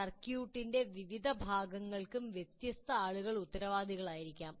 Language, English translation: Malayalam, And many different people may be responsible for different parts of the circuit as well